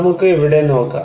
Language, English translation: Malayalam, Let us look here